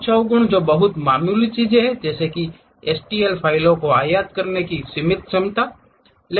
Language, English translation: Hindi, Some of the demerits which are very minor things are a limited ability to import STL files